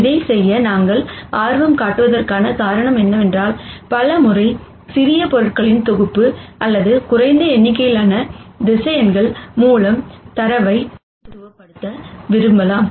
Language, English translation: Tamil, The reason why we are interested in doing this is, because many times we might want to represent data through a smaller set of objects or a smaller number of vectors